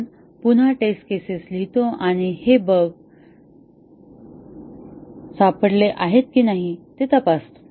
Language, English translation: Marathi, We run the test cases again and check whether this bug is caught